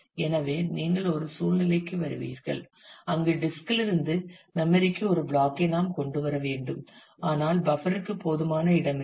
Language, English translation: Tamil, So, you will come to a situation, where we need to bring a block from the disk to the memory, but the buffer does not have enough space